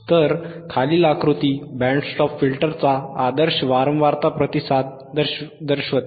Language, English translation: Marathi, So, the figure below shows the ideal frequency response of a Band Stop Filter